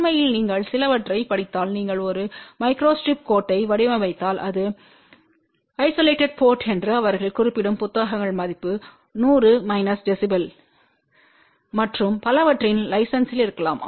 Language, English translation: Tamil, In fact, if you read some of the books they do mention that if you design a coupled micro strip line this is the isolated port value may be of the order of 100 minus db and so on